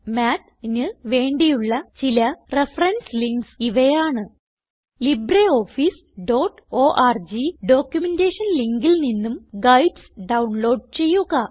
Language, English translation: Malayalam, Here are some reference links for Math: Download guides at libreoffice.org documentation link